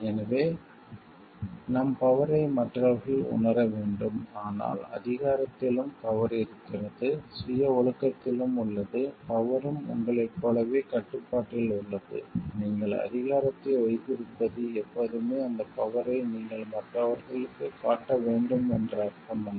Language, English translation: Tamil, So, that others get to realize our power, but the power also lies in power also lies in self discipline, power also lies in having a control on oneself like you having power does not always mean like you need to show that power to others to appear powerful